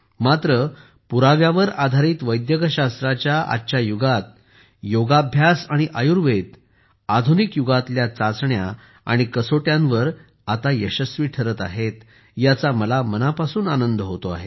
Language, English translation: Marathi, But, I am happy that in the era of Evidencebased medicine, Yoga and Ayurveda are now standing up to the touchstone of tests of the modern era